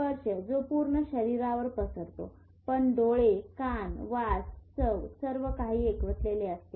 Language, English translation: Marathi, Touch is spread throughout the body but eyes, ears, smell, taste, everything is concentrated